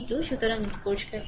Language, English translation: Bengali, So, let clear it right